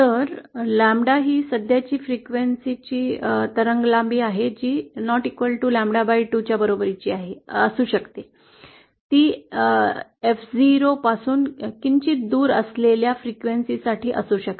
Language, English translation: Marathi, So lambda is the wave length of the current frequency that is it may not be equal to lambda 0, it may be for a frequency which is slightly shifted away from F0